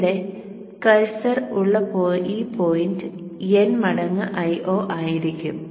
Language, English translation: Malayalam, Recall that this point here where the cursor is would be n times I not